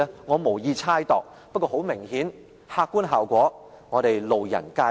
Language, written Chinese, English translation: Cantonese, 我無意猜度，不過很明顯，客觀效果，我們路人皆見。, I do not want to guess his motive but the effect of the proposed reduction is just obvious to all